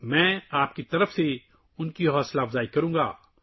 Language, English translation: Urdu, I will encourage them on your behalf